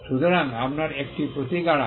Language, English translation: Bengali, So, you have a remedy